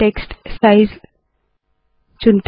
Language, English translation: Hindi, Let us choose the size of the text